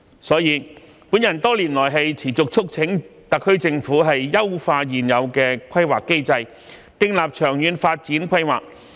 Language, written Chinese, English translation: Cantonese, 所以，我多年來持續促請特區政府優化現有的規劃機制，訂立長遠發展規劃。, Hence over the years I have persistently urged the HKSAR Government to improve the existing planning mechanism and formulate a long - term development planning